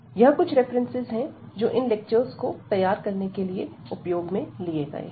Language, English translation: Hindi, These are the references we have used to prepare these lectures